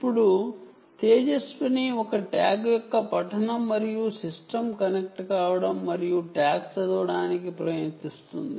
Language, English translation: Telugu, so now tejaswini will in work the reading of a tag and its connecting to the system and tries to read the tag